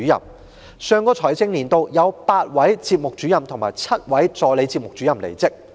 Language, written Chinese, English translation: Cantonese, 在上個財政年度，有8位節目主任及7位助理節目主任離職。, In the last financial year eight Programme Officers and seven Assistant Programme Officers left